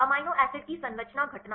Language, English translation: Hindi, Amino acid composition occurrence